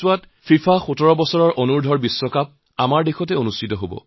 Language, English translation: Assamese, FIFA under 17 world cup is being organized in our country